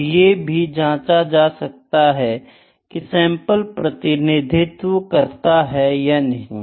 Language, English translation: Hindi, And assess whether the sample is representative or not